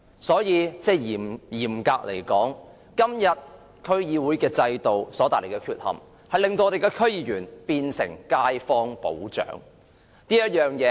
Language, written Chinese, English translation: Cantonese, 所以，嚴格而言，現時區議會制度的缺陷令區議員變成街坊保長。, Therefore strictly speaking due to the deficiency of the system DC members have become the leaders of residents